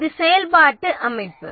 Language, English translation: Tamil, So, this is the functional organization